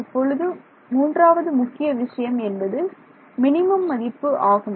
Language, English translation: Tamil, Now, the third point we can say is that minimum is